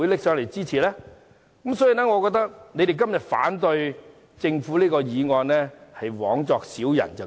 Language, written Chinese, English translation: Cantonese, 因此，我覺得他們今天反對政府這項休會待續議案是枉作小人。, As such I think they are making vain efforts when they oppose the adjournment motion moved by the Government today